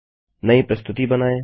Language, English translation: Hindi, Create new presentation